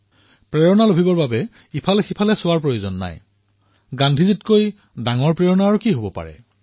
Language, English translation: Assamese, And for inspiration, there's no need to look hither tither; what can be a greater inspiration than Gandhi